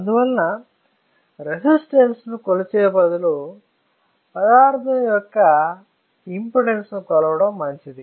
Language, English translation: Telugu, And that is why instead of measuring resistance it is advisable to measure the impedance of the material